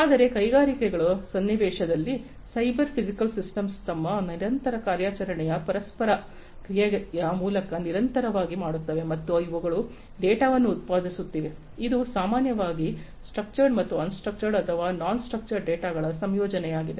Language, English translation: Kannada, But in the context of industries similarly these machines, cyber physical systems machines etcetera continuously do by virtue of their continuous operation interaction and so on they are generating data, which typically is a combination of structured and unstructured or non structured data